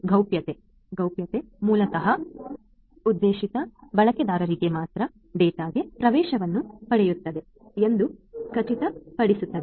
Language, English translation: Kannada, Confidentiality basically ensures that only the intended users will get access to the data